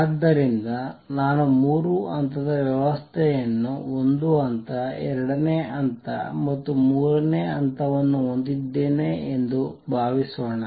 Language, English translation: Kannada, So, suppose I have a three level system one level, second level and third level